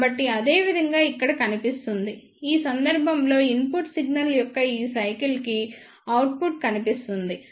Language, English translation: Telugu, So, that will appear here similarly in this case the output will be appeared for this cycle of input signal